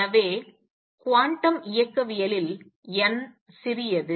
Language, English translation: Tamil, So, in quantum mechanics n is small